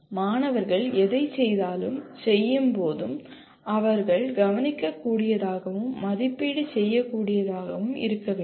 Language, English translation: Tamil, And when the students do or perform whatever they do should be observable and assessable